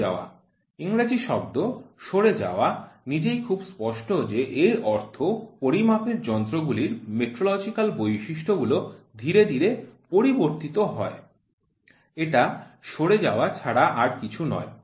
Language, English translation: Bengali, Drift: the English word drift itself very clearly says a slow change of metrological characteristics of a measuring instruments nothing, but a drift